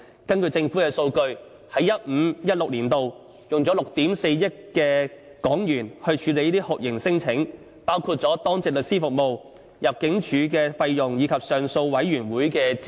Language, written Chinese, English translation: Cantonese, 根據政府數據，在 2015-2016 年度已經花了6億 4,000 萬港元處理這些酷刑聲請，包括當值律師服務、入境處費用，以及上訴委員會的資源。, According to government statistics 640 million were spent in 2015 - 2016 to handle these torture claims including Duty Lawyer Service ImmDs expenses as well as the resources of the Torture Claims Appeal Board . Comparing with the 430 million spent in the year before the relevant expenses have increased by at least 50 %